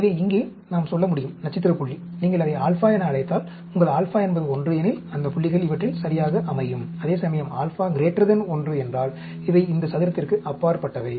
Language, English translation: Tamil, So, here we can say, the star point, if you call it alpha, if your alpha is 1, those points lie right on these; whereas, if alpha is greater than 1, they are beyond this square